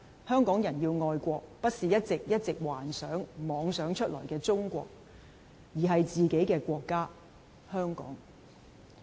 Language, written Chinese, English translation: Cantonese, 香港人要愛的國，不是一直一直幻想、妄想出來的中國，而是自己的國家——香港。, The country that Hong Kong people need to love is not China in their fantasies and delusion but their very own country―Hong Kong